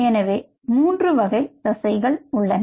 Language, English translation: Tamil, so there are three muscle types